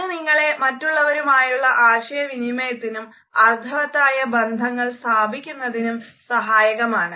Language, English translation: Malayalam, It allows you to better communicate with others established meaningful relationships and build rapport